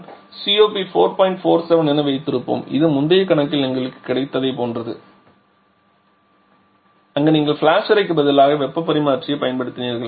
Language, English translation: Tamil, 47 which is very similar to the one that we got in the previous problem where you use model use and heat exchanger instead of the flash chamber